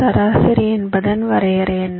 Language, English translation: Tamil, what is the average average